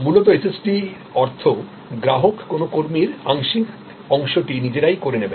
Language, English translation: Bengali, Fundamentally SST therefore, means that customer will play the part partially of an employee